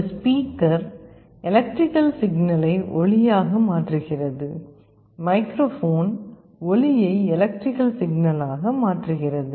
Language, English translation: Tamil, A speaker converts an electrical signal to sound; microphone converts sound into electrical signals